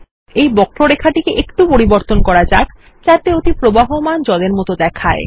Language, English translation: Bengali, Lets adjust the curve so that it looks like flowing water